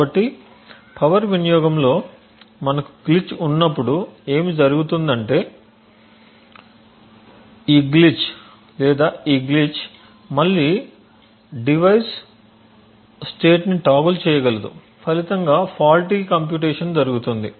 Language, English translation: Telugu, So what happens when we have a glitch in the power consumption is that this glitch or this glitch can again toggle the device state resulting in a wrong or faulty computation